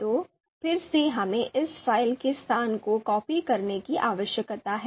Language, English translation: Hindi, We need to, we need to copy the the location of the location of this file